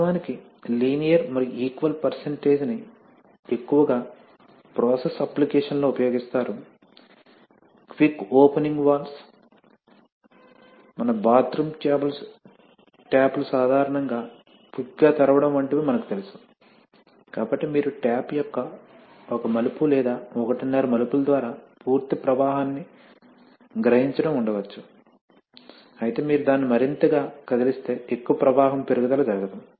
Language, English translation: Telugu, Actually, the linear and the equal percentage are mostly used in process applications, quick opening valves are, you know like our, like our bathroom taps are typically quick opening, so you must have seen that if you, the almost full flow is realized by a, maybe even one turn or one and a half turns of the tap, while if you move it more and more then not much flow increase takes place